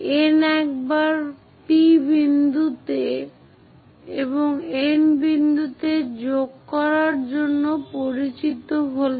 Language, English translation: Bengali, Once N is known join P point and N point